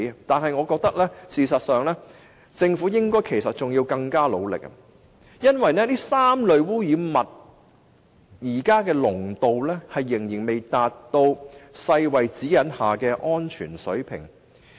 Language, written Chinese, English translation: Cantonese, 但是，我覺得政府應該要更努力，因為這3類污染物現時的濃度仍然未達到世界衞生組織指引下的安全水平。, But in my view the Government should make more efforts because the concentrations of these three pollutants are still below the safety standards set out in the guideline of the World Health Organization